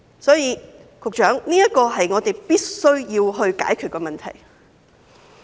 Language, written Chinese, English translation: Cantonese, 所以，這是我們必須解決的問題。, Thus this is a problem that we must solve